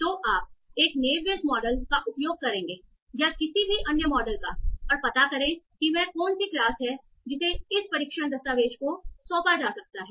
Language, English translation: Hindi, So you will use your Nibage model or any other model and find out what is the class that will be assigned to this test document